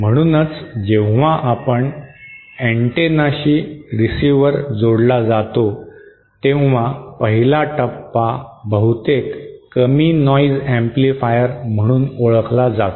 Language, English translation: Marathi, That is why, when we have a receiver connected to an antenna, the 1st stage is often what is known as the low noise amplifier